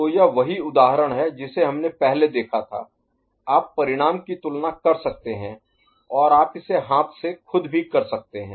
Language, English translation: Hindi, So, his is the same example we had seen before you can compare the result and you can you perform it by hand also